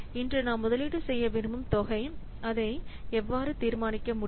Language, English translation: Tamil, The amount that we are wanting to invest today how it can be determined